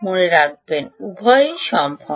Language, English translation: Bengali, remember, both are possible